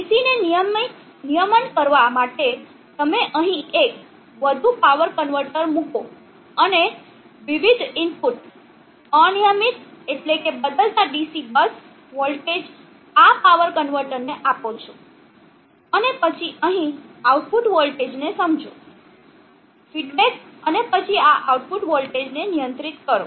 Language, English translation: Gujarati, In order to regulate the DC you put one more power convertor here and give the input varying nonfiction DC bus voltage to this power convertor, and then sensed output voltage here, feedback and then control this output voltage